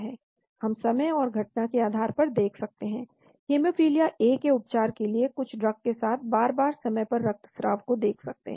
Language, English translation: Hindi, Or we can look at time to event, repeated time to bleeding in treatment of hemophilia A with some drug